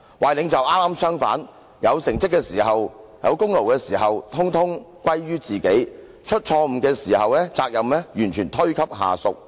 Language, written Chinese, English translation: Cantonese, 壞領袖可剛好相反：有成績時功勞統統歸於自己，出錯誤時責任完全推給下屬。, A bad leader is just the opposite he takes all the credit for achievements but shirks responsibilities to subordinates when mistakes are made